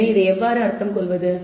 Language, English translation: Tamil, So, how to interpret this